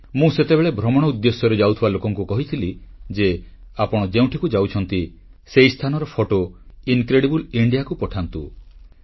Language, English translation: Odia, I asked people who were planning to go travelling that whereever they visit 'Incredible India', they must send photographs of those places